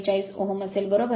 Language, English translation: Marathi, 44 ohm right